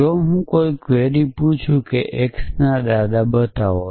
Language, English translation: Gujarati, If I ask a query like is there or show grandparent x